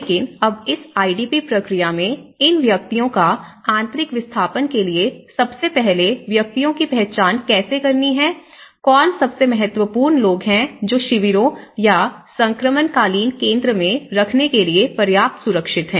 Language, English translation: Hindi, But now in this IDP process, the internal displacement of these persons, first of all how to identify whom, who is the most important people to be you know secured enough to put them in the camps or to put them in the transitional centre